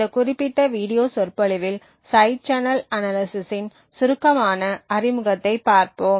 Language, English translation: Tamil, In this particular video lecture we will be looking at a brief introduction to Side Channel Analysis